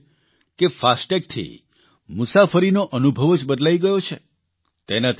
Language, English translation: Gujarati, She says that the experience of travel has changed with 'FASTag'